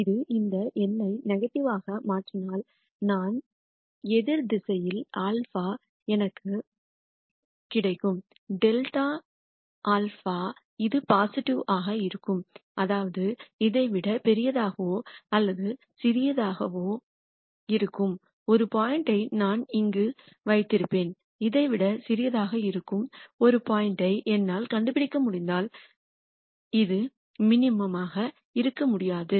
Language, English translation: Tamil, If this turns out to be negative this number, then if I go in the opposite direction of minus alpha I will get grad of alpha this will be positive; that means, that I will have a point here which can be either larger than this or smaller than this and if I can find a point such that this is smaller than this then this cannot be a minimum